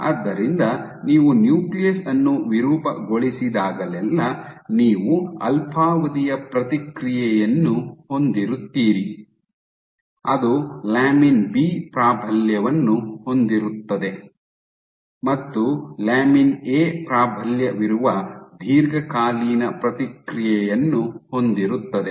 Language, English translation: Kannada, So, your short term whenever you deform the nucleus when you deform the nucleus you have a short term response which is lamin B dominated, and a long term response which is lamin A dominated